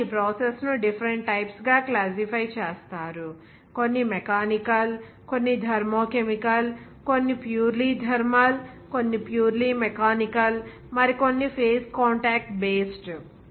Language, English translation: Telugu, And also, the process is classified into different types like: some are mechanical, some are thermochemical, some are purely thermal, some are purely mechanical, and some are phase contact based